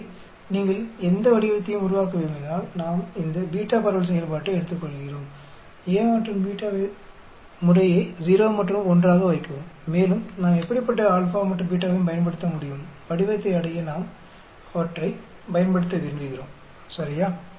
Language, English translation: Tamil, So, if you want to generate any shape we take this beta distribution function, put A and B as 0 and 1 respectively, and we can use whatever alpha and beta we want to use to achieve the shape, ok